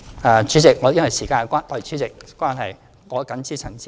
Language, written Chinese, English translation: Cantonese, 代理主席，由於時間關係，我謹此陳辭，希望大家支持議案。, Deputy President due to time constraints I so summit and hope that Members can support the motion